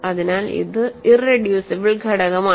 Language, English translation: Malayalam, So, it is an irreducible element